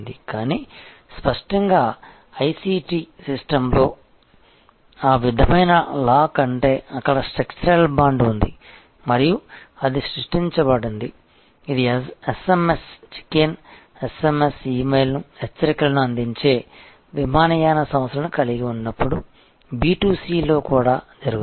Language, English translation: Telugu, And, but; obviously, that short of lock in ICT system means are there is a structural bond and that is created, it also happens in B2C like when you have airlines who have who provide SMS checking SMS, E mail alerts